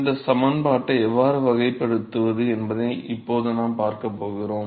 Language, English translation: Tamil, So, anyway, what we going to see now how to characterize this equation